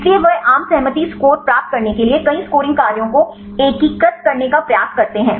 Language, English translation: Hindi, So, they try to integrate multiple scoring functions to get the consensus score